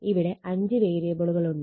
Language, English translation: Malayalam, So, there are five variables right